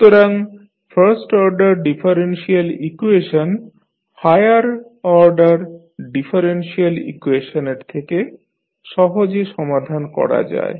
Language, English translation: Bengali, So, the first order differential equations are simpler to solve than the higher order ones